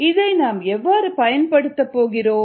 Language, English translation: Tamil, so how ah we going to use this